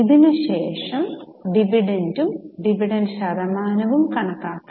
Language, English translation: Malayalam, Then we have to show the dividend and dividend percentage